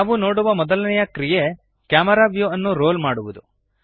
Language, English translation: Kannada, The first action we shall see is to roll the camera view